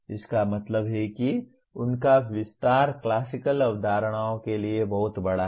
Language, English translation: Hindi, That means their extension is much larger for classical concepts